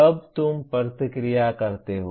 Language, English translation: Hindi, Then you react